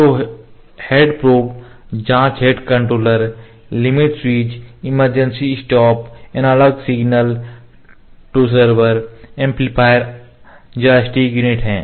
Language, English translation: Hindi, So, read heads, probes, probe head controllers, limit switches, emergency stop, analog signals to server amplifiers joystick unit